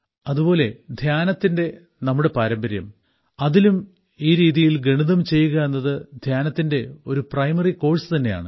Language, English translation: Malayalam, Even in the tradition of dhyan, doing mathematics in this way is also a primary course of meditation